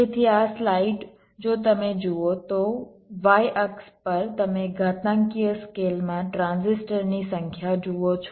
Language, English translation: Gujarati, so this light, if you see so, on the y axis you see the number of transistors in an exponential scale